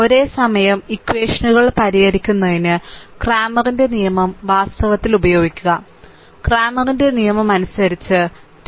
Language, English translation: Malayalam, So, cramers rule actually cramers rule can be used to solve the simultaneous equations, according to cramers rule the solution of equation 3